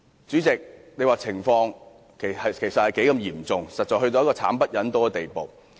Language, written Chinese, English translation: Cantonese, 主席，這種情況實已嚴重至慘不忍睹的地步。, President this is indeed a serious situation which is terribly appalling